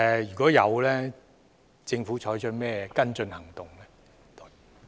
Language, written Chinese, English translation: Cantonese, 如有，政府會採取甚麼跟進行動？, If so what follow - up action will the Government take?